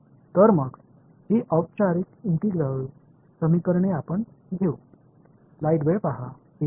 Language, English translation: Marathi, So, let us formally these integral equations